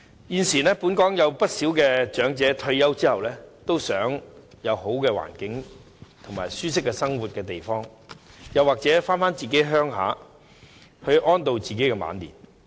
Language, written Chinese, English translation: Cantonese, 現時，本港不少長者在退休後均希望有良好的環境和舒適生活的地方，或回鄉安度晚年。, At present many elderly people in Hong Kong invariably want to live in a good environment and place which offers them a comfortable life after retirement or to spend their twilight years in their hometowns